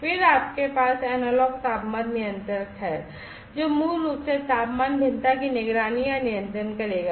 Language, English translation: Hindi, Then you have the analog temperature controller, which will basically monitor or control the temperature variation